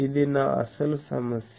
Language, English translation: Telugu, So, this is my actual problem